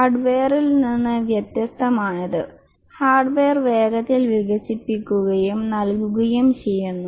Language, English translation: Malayalam, This is unlike hardware where you get the hardware quickly developed and given